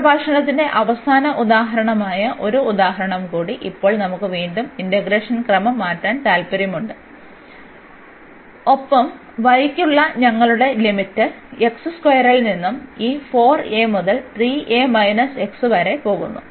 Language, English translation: Malayalam, So, one more example that is the last example for this lecture; so, we have now again we want to change the order of integration and our limit for the y goes from x square by this 4 a to 3 a minus x